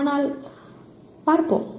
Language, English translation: Tamil, But let us see